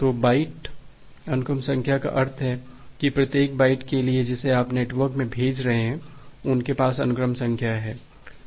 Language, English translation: Hindi, So, byte sequence number means that for every individual byte that you are sending in the network they has a sequence numbers